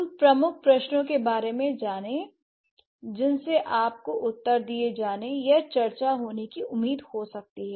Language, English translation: Hindi, And what are the major questions you might expect to be answered or to be discussed